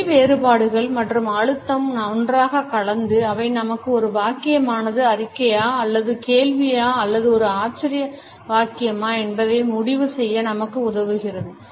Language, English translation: Tamil, Intonation and a stress blend together; they help us to conclude whether it is a statement or a question or an exclamation